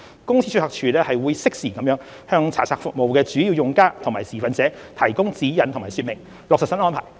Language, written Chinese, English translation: Cantonese, 公司註冊處會適時向查冊服務的主要用家及持份者提供指引及說明，落實新安排。, The Company Registry will provide guidelines and explanations to the major users of its search services and other stakeholders in due course to facilitate the implementation of the new regime